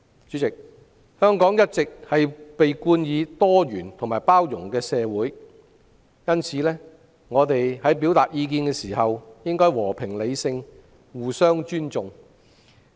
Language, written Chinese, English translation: Cantonese, 主席，香港一直被稱為多元包容的社會，我們表達意見時應和平理性，互相尊重。, President Hong Kong has always been a pluralistic and inclusive society . We should express our views in a peaceful and rational manner and respect the views of others